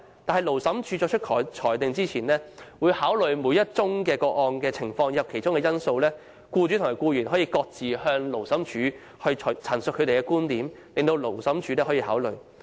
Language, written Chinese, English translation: Cantonese, 但是，勞審處在作出裁定前，會考慮每宗個案的情況和因素，僱主和僱員可各自向勞審處陳述其觀點，讓勞審處考慮。, However before making a ruling the Labour Tribunal will consider the merits of each case . The employer and the employee in question may illustrate their viewpoints to the Tribunal separately for its consideration